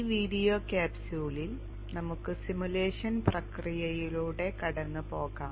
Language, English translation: Malayalam, In this video capsule we shall take a walk through the simulation process